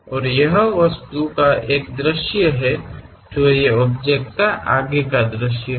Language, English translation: Hindi, And this is one view of that object, the frontal view